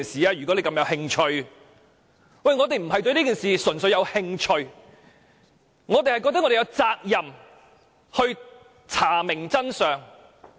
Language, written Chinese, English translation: Cantonese, 可是，我們並不是純粹對這件事感興趣，而是認為我們有責任查明真相。, However we are not purely interested in following up the incident but rather we consider that we are duty - bound to find out the truth